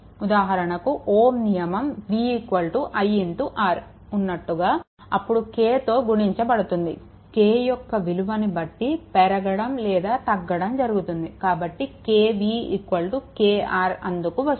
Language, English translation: Telugu, For example, where you make v is equal to i R say in ohms law right, then if you multiplied by constant k way increase way decrease, so KV is equal to K I R, so will come to that